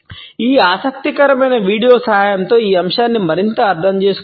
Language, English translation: Telugu, This aspect can be further understood with the help of this interesting video